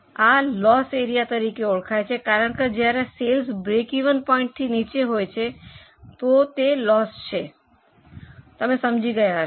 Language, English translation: Gujarati, This is known as a loss area because when sales are below the break even point then it is a loss